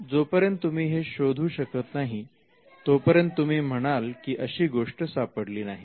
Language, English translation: Marathi, Unless you find it, you will only return by saying that such a thing could not be found